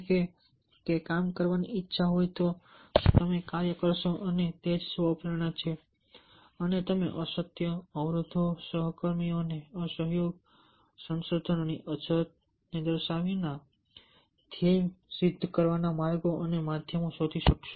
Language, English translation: Gujarati, so the to is with that, if you have will to work, you will do the work, and that is what self self motivation is, and you will find out the ways and means to accomplish the goal without pointing out one genuine constants: lack of resources, non co operation of colleagues, etcetera